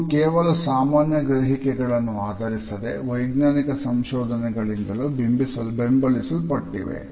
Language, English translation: Kannada, These are based not only on common perceptions, but they have also been supported by scientific researches